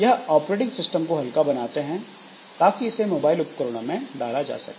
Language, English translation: Hindi, So, that way it helps in making the operating system lighter so that it can be put onto this mobile devices